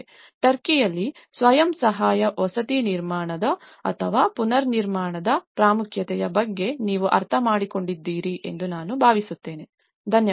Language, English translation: Kannada, I hope you understand about the importance of the self help housing reconstruction in Turkey, thank you very much